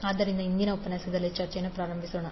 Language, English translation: Kannada, So let us start the discussion of today’s session